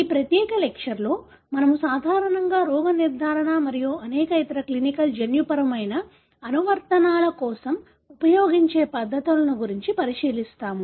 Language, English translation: Telugu, This particular lecture, we will be looking into techniques that we normally use for diagnosis and many other clinical genetic applications